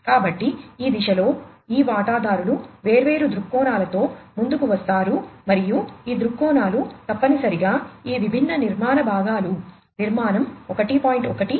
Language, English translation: Telugu, So, these step these stakeholders come up with different viewpoints and these viewpoints essentially help in coming up with these different architectural components architecture 1